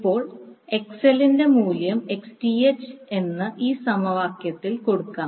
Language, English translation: Malayalam, Now, if you put the value of XL is equal to minus Xth in this expression